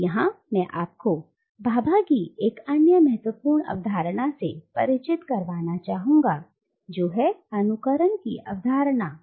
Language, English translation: Hindi, Now, here I would like to introduce you to another important concept in Bhabha, which is the concept of mimicry